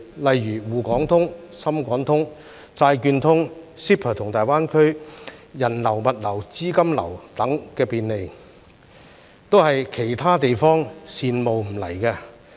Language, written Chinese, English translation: Cantonese, 例如"滬港通"、"深港通"、債券通、CEPA 和大灣區人流、物流、資金流等便利，都是其他地方羨慕不來的。, For example facilitation for the flow of people goods and capital provided by Shanghai - Hong Kong Stock Connect Shenzhen - Hong Kong Stock Connect Bond Connect CEPA and the Greater Bay Area has become the envy of other places